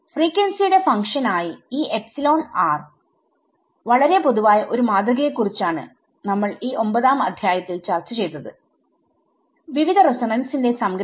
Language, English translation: Malayalam, So, general a very general model of this epsilon r as a function of frequency is what is discussed in this chapter 9 as a summation of various resonances